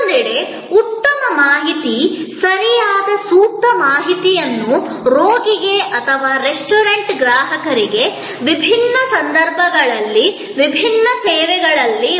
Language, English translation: Kannada, And on the other hand, good information, right appropriate information will have to be provided to the patient or to the restaurant customer in different services in different circumstances